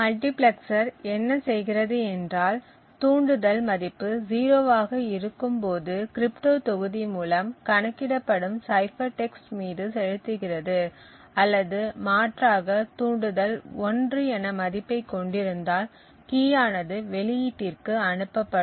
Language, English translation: Tamil, So what the multiplexer does is that it either passes on the cipher text which is computed by the crypto module whenever the trigger has a value of 0 or alternatively if the trigger has a value of 1 then the key gets transmitted to the output